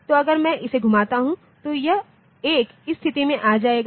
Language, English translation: Hindi, So, if I rotate it then this 1 will come to the position